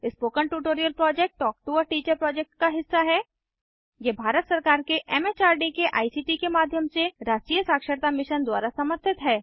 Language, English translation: Hindi, The Spoken Tutorial Project is a part of the Talk to a Teacher project It is supported by theNational Mission on Education through ICT, MHRD, Government of India